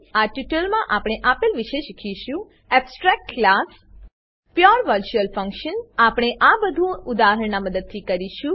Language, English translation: Gujarati, In this tutorial we will learn, *Abstract Classes *Pure virtual function *We will do this through an example